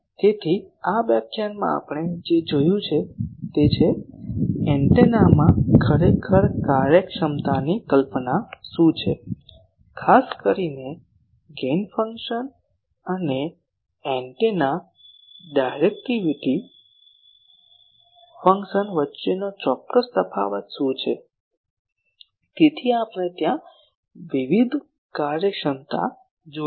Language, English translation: Gujarati, So, in this lecture what we have seen is that: what is actually the concept of efficiency in antennas, particularly what is the certain difference between gain function and directivity function of the antennas; so there we have seen various efficiencies